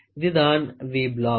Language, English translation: Tamil, This is a V block